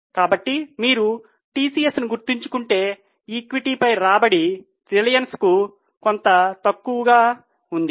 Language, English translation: Telugu, So, if you remember TCS, this return on equity is somewhat lower for reliance